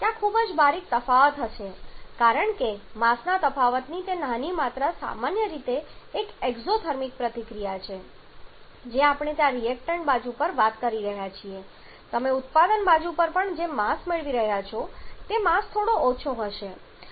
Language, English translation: Gujarati, There will be very minute amount of difference because that small amount of difference of mass generally on the an exothermic reaction we are talking about there on the reactant side whatever mass you are getting on the product side the mass will be slightly lesser